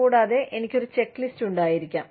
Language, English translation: Malayalam, And, I can have a checklist